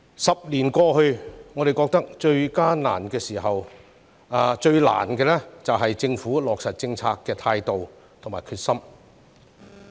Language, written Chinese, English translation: Cantonese, 十年過去，我們覺得最大的難題在於政府落實政策的態度和決心。, Now that 10 years have passed we find that the biggest problem lies in the Governments attitude and determination in implementing policies